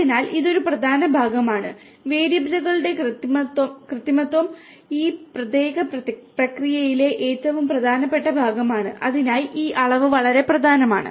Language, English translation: Malayalam, So, this is important part the manipulation of the variables is the most important part in this particular process and for that this measurement is very important